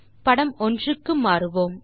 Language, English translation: Tamil, So let us now switch to figure 1